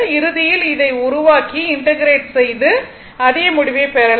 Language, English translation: Tamil, Ultimate ultimately, if you make this one and integrate, you will get the same result